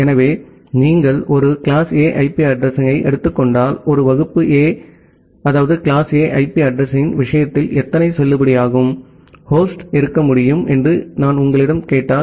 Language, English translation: Tamil, So, if you just take a class A IP address, and if I ask you that how many number of valid host can be there in case of a class A IP address